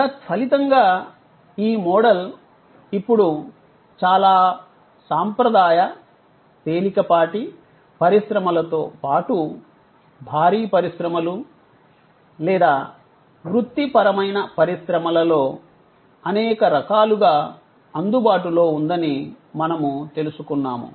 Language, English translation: Telugu, As a result, we find that, this model is now available in number of different ways in very traditional light industries as well as having heavy industries or professional industries